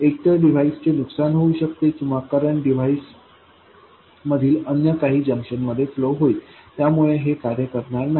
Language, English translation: Marathi, Either the device could be damaged or the current will be flowing into some other junctions in the device and so on